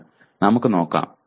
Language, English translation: Malayalam, But let us see